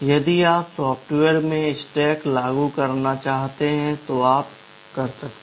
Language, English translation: Hindi, If you want to implement stack in software, you can do it